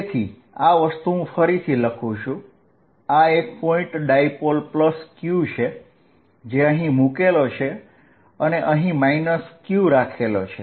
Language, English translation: Gujarati, I am going to make it again, this is my point dipole plus q sitting here minus q sitting here